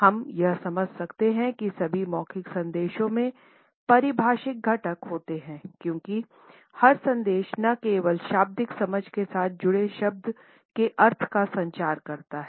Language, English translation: Hindi, We can understand that all oral messages have paralinguistic component because every message communicates not only the meaning associated with the literal understanding of the words